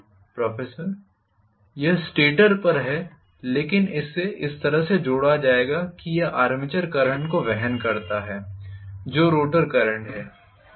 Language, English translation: Hindi, (())(27:31) It is on the stator, but it will be connected in such a way that it carries armature current which is rotor current